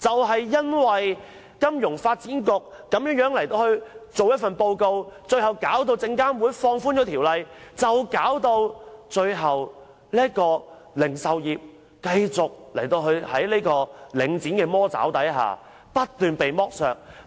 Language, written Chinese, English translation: Cantonese, 正因為金發局所發表的報告，最終導致證監會放寬條例，而零售業界在領展的"魔爪"下不斷被剝削。, It is the FSDC report and SFCs subsequent relaxation of the code that causes the retail sector to suffer from the evil claws and under the continuous expolitation of Link REIT